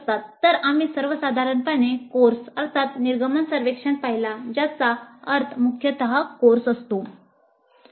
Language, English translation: Marathi, So, we looked at the exit surveys for courses in general which means predominantly core courses